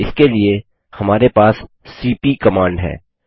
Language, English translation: Hindi, For this we have the cp command